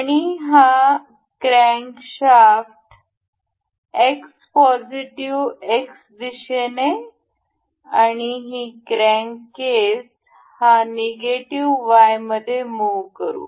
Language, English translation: Marathi, And this crankshaft in the X positive X direction, and this crank casing in negative Y